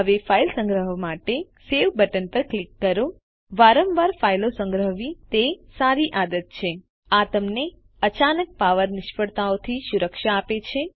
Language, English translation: Gujarati, Now click onSave button to save the file It is a good habit to save files frequently This will protect you from sudden power failures It will also be useful in case the applications were to crash